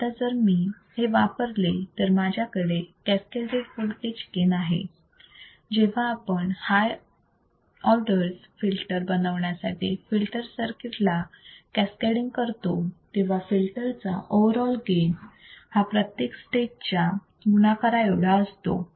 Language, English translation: Marathi, Now, if I use this is an example, I have a cascaded voltage gain, when cascading to a filter circuits to form high order filters, the overall gain of the filter is equal to product of each stage